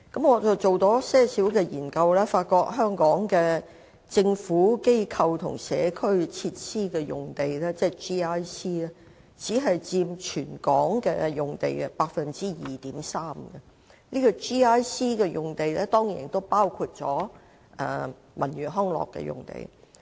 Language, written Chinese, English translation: Cantonese, 我也作了一些研究，發現香港的"政府、機構或社區"用地僅佔全港用地 2.3%， 而 GIC 用地亦包括了文娛康樂用地。, I have also done some research and found that Government Institution or Community GIC sites in Hong Kong only account for 2.3 % of the total land area and GIC sites also include sites for cultural and recreational purposes